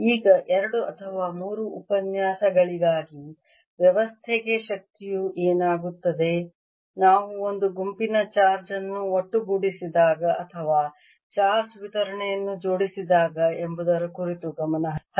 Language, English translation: Kannada, now on for two or three, for two or three lectures, we are going to focus on what happens to the energy to system when we assemble a set of charges or assemble a distribution of charge